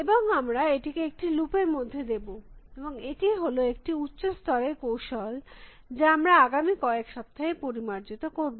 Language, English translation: Bengali, And we put this into a loop, and this is the high level strategy that we are going to refine over the next few weeks generated